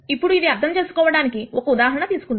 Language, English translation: Telugu, Now, let us take an example to understand this